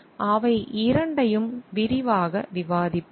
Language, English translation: Tamil, We will discuss both of them in details